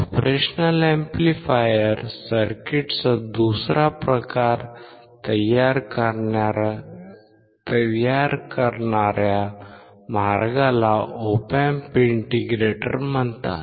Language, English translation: Marathi, Path producing another type of operational amplifier circuit called Op Amp integrator